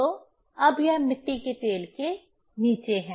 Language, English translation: Hindi, So, it is now underneath the kerosene oil